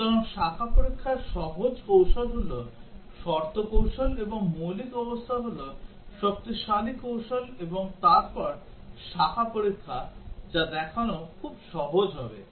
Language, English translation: Bengali, So, the branch testing is the simplest strategy is condition strategy, and the basic condition is stronger strategy then branch testing, that would be very easy to show